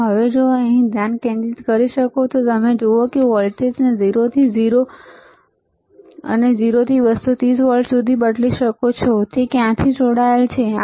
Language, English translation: Gujarati, So now, if you can focus here, you see, you can change the voltage from 0 from 0 to 230 volts, it is connected to where